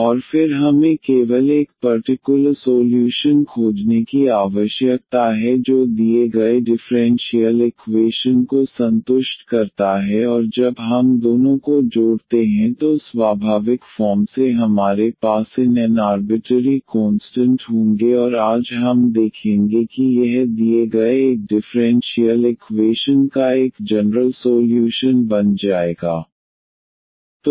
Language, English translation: Hindi, And then we need to find just one particular solution which satisfies the given differential equation and when we add the two so we will have naturally these n arbitrary constants and today we will see that this will become a general solution of the given a differential equation